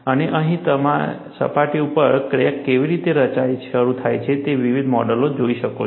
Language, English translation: Gujarati, And here, you see different models how crack initiates from the surface